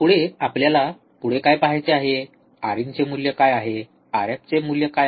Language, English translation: Marathi, Next, what we have to see next is, what is the value of R in, what is the value of R f